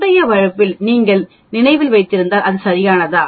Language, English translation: Tamil, If you if you remember in the previous case that is what it is right